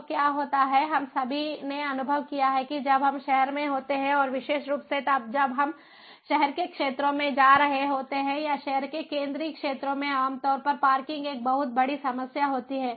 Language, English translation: Hindi, so what happens is we all have experienced that when we are in the city, and particularly when we are going in to the downtown areas or the central areas of a city, typically parking is a huge problem